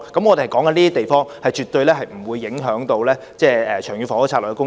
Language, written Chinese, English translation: Cantonese, 我們是說這些地方，絕對不會影響《長遠房屋策略》的房屋供應。, We are talking about such sites and housing supply under the Long Term Housing Strategy definitely will not be affected